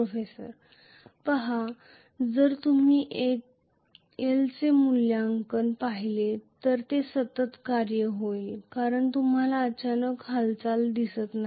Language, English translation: Marathi, See, actually if you look at the evaluation of L it will be a continuous function because you are not seeing a abrupt movement